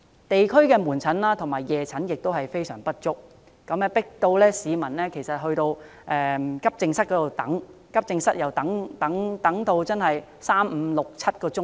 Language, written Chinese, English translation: Cantonese, 地區的門診和夜診名額不足，迫使市民到急症室求診，但急診服務輪候時間長達三、五、七個小時。, Given the insufficient quotas for consultation at day and evening outpatient clinics in various districts people are forced to seek medical attention at AE wards waiting for three five or seven hours before they can be attended to